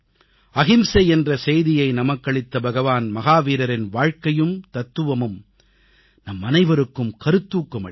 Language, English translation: Tamil, The life and philosophy of Lord Mahavirji, the apostle of nonviolence will inspire us all